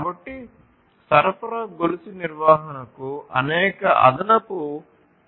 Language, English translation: Telugu, So, supply chain management has many additional environmental concerns as well